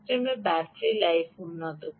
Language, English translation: Bengali, your battery life simply improves